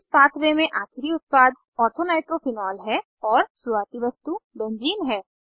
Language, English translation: Hindi, In this pathway, the final product is Ortho nitrophenol and the starting material is Benzene